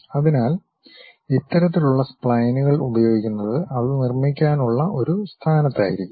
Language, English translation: Malayalam, So, using these kind of splines one will be in a position to construct it